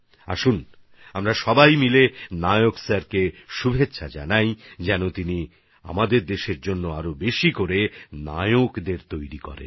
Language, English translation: Bengali, Come, let us all wish Nayak Sir greater success for preparing more heroes for our country